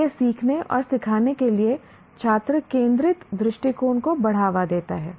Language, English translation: Hindi, So it promotes student centered approach to learning and teaching